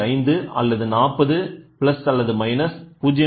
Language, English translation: Tamil, 5, 40 plus or minus 0